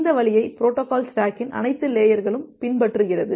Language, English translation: Tamil, And that way with all this layers of the protocol stack